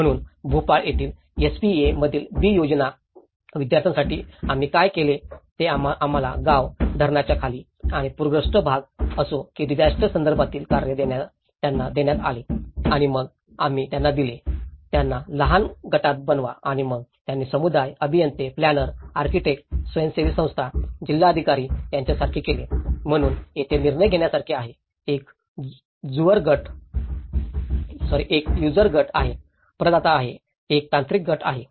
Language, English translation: Marathi, So, here for B plan students in SPA, Bhopal, what we did was we given them a task of a disaster context whether it was a village, under the dam and a flooded area and then we given them, make them into small groups and then we made into like community, engineers, planner, architect, NGO, district collectors, so there is a decision making, there is a user group, there is a provider group, there is a technical group